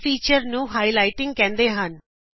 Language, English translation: Punjabi, This feature is called highlighting